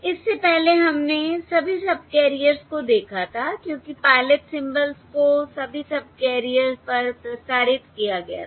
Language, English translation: Hindi, Previously we had looked at all the subcarriers because the pilot symbols were transmitted on all of subcarriers